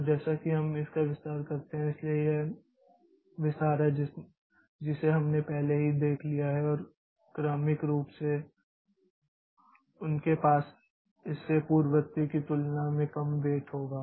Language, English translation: Hindi, And as we expand it so this is this expansion we have already seen and successive terms they will have less weight than its predecessor